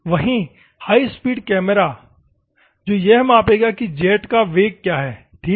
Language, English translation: Hindi, At the same time, the high speed camera is there and it will measure what is the velocity of the jet ok